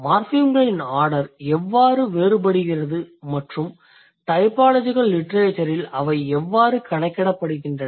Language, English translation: Tamil, So, how the order of morphems are different and how it is accounted for in the typological literature